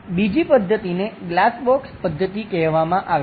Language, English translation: Gujarati, The other method is called glass box method